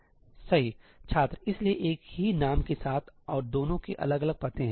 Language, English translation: Hindi, so, with the same name, and both have different addresses